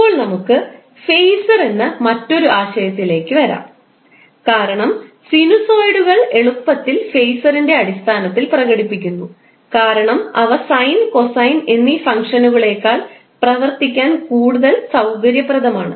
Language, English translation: Malayalam, Now let's come to another concept called phaser because sinusoids are easily expressed in terms of phaser which are more convenient to work with than the sine or cosine functions